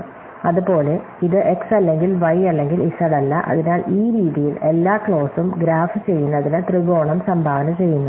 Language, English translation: Malayalam, Similarly, this is not x or not y or z, so in this way every clause contributes the triangle to may graph